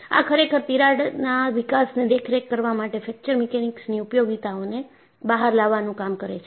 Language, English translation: Gujarati, This really brings out the utility of Fracture Mechanics in monitoring crack growth